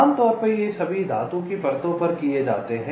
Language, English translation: Hindi, typically these are all done on metal layers